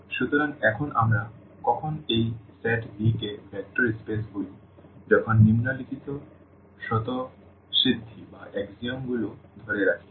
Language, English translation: Bengali, So, having all these here; now when do we call this set V a vector space when the following axioms hold